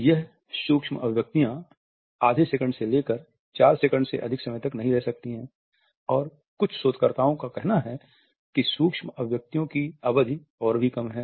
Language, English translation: Hindi, They last not more than half a second up to 4 seconds and some researchers say that the duration of micro expressions is even less